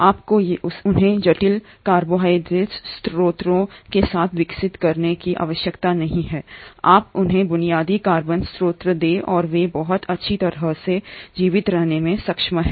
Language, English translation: Hindi, You do not have to grow them with complex carbohydrate sources, you give them basic carbon source and they are able to survive very well